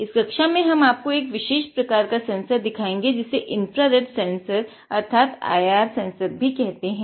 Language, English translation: Hindi, In this class, we will show you one particular sensor which is called infrared sensor is also called IR sensor